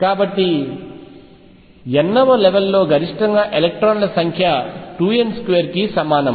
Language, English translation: Telugu, So, number of electrons maximum in the nth level is equal to 2 n square